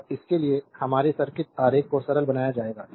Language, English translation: Hindi, And for such that our circuit diagram will be simplified